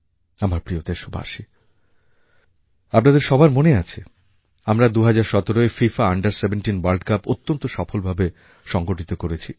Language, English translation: Bengali, My dear countrymen, you may recall that we had successfully organized FIFA Under 17 World Cup in the year2017